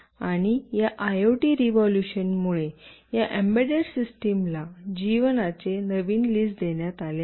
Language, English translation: Marathi, And this IoT revolution has given this embedded system a new lease of life